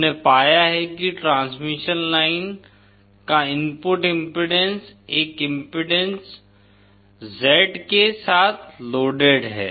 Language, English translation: Hindi, We have found that the input impedance of transmission line loaded with an impedance Z